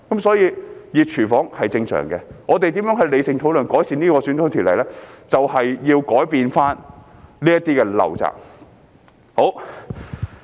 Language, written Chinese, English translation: Cantonese, 所以，"熱廚房"是正常的，我們如何理性討論，改善有關選舉條例，便是要改變這些陋習。, So it is natural that it is a hot kitchen . Only by breaking these bad habits can we have rational discussion to improve the relevant electoral legislation